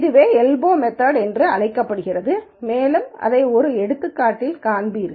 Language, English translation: Tamil, So, this is called an elbow method and you will see a demonstration of this in an example